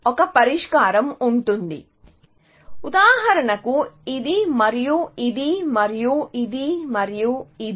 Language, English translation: Telugu, So, a solution will have, for example, this and this and this and this